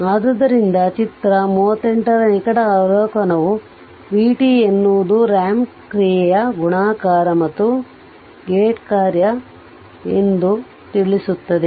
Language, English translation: Kannada, So, a close observation of figure 38 it reveals that v t is a multiplication of a ramp function and a gate function